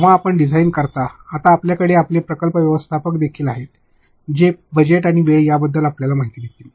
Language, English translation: Marathi, When you come to design, now you have your project managers also who will brief you about the budget and time